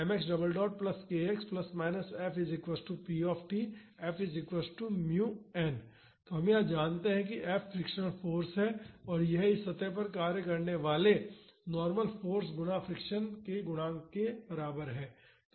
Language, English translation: Hindi, Here, we know that this F is the frictional force and that is equal to the coefficient of friction times the normal force acting on this surface